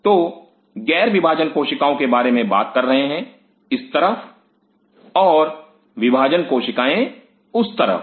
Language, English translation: Hindi, So, talking about the cells Non dividing and this side and Dividing on other side